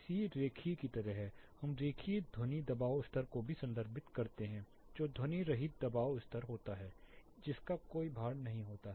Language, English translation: Hindi, C is more or like linear, we also refer to linear sound pressure level that is more or less unweighted sound pressure level there is no weightage